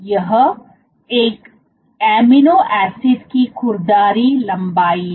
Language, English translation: Hindi, This is the rough length of one amino acid